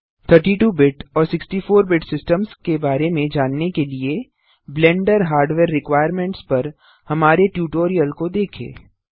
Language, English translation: Hindi, To understand about 32 BIT and 64 BIT systems, see our Tutorial on Blender Hardware Requirements